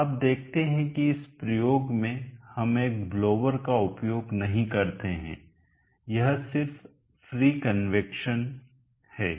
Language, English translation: Hindi, so you see that in this experiment we are not used a blower it is just free convection